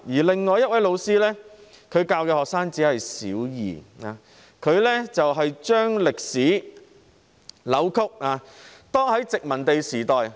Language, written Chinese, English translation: Cantonese, 另一位老師教授小學二年級學生，扭曲殖民地時代的歷史。, The other teacher who taught Primary Two students distorted the colonial history